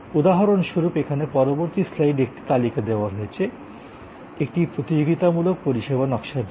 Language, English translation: Bengali, A list is provided in the next slide here for example, for a competitive service design, the elements are like availability of the service